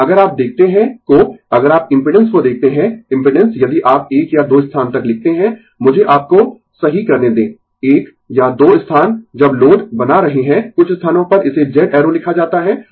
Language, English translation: Hindi, But, if you look at the, if you look at the impedance, impedance when you write one or two places let me rectify you, one or two places while making the load some places it is written Z arrow